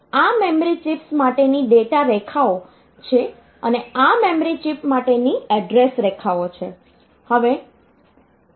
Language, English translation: Gujarati, So, these are the data lines for the memory chips and these are the address lines for the memory chip these are the address lines